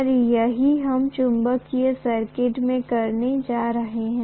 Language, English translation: Hindi, And that’s what we are going to do in magnetic circuits